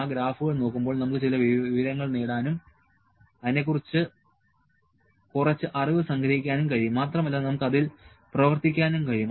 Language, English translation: Malayalam, And while viewing those graphs, we can have some information and we can abstract some knowledge of that, and we then, we can work on that